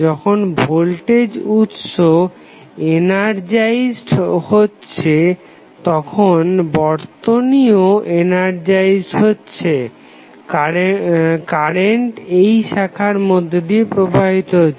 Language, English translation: Bengali, So, when this will be energized, the circuit will be energized, the current will flow in this particular branch